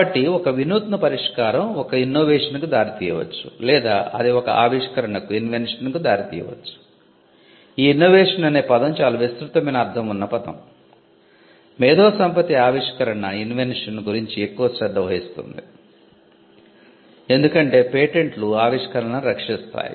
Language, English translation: Telugu, So, an innovative solution could either result in an innovation or it could result in an invention, innovation is a very broad term intellectual property is more concerned about invention, because patents would protect inventions